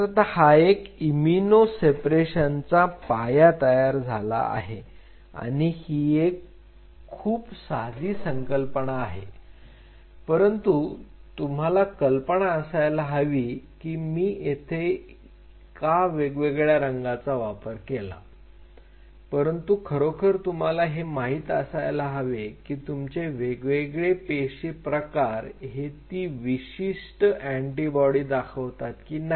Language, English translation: Marathi, Now, this is what forms the basis of immuno separation it is a very simple concept, but you just have to get this idea and that is why I am kind of drawing in different colors, but catch you really have to know your cell type or your concern cell type does it express that antibody or not